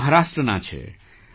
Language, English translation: Gujarati, She is a resident of Maharashtra